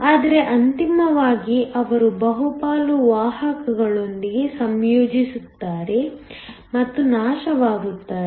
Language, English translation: Kannada, But, ultimately they will combine with the majority carriers and get destroyed